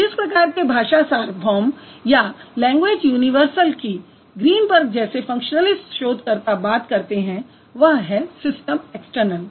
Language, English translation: Hindi, So his universal, so the kind of language universals that functionalist researchers like Greenberg would talk about, that is a system external